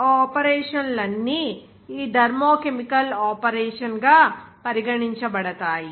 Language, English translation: Telugu, All those operations are regarded as this thermochemical operation